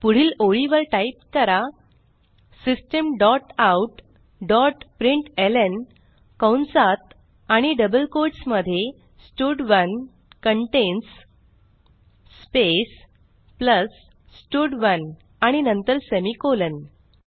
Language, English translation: Marathi, Now type next line System dot out dot println within brackets and double quotes stud2 contains space plus stud2 and then semicolon